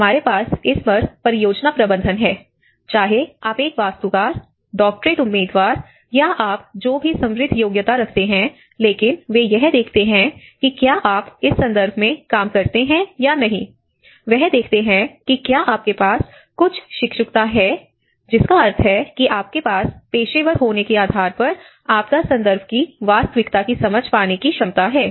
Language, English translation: Hindi, We have the project management on this, irrespective of whether you are an architect, whether you are a doctorate candidate or if you are whatever the rich qualification you have, but they look for whether you have worked in this context or not, whether you have some apprenticeship where you have so which means that forms a basis of an understanding of the professional to get an understanding of the reality of the disaster context